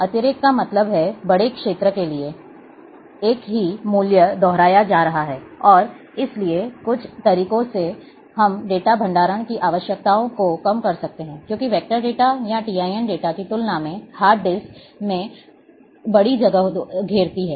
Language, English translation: Hindi, Redundancy means, for large area, the same value is being repeated and therefore, by some means, we can reduce the requirements of data storage, because raster occupies large space in hard disc, as compared to vector data, or TIN data